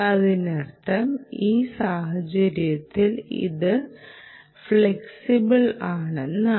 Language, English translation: Malayalam, so that means, in other words, you can say it is flexible